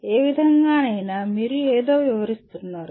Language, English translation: Telugu, In whatever way, you are explaining something